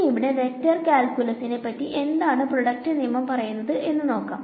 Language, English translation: Malayalam, Let us find out what the product rule says for the case of the vector calculus over here